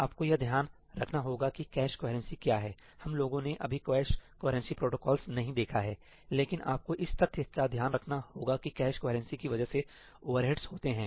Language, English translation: Hindi, You have to be aware of what cache coherency is, we did not get into the cache coherency protocols, but you have to be aware of the fact that cache coherency has its overheads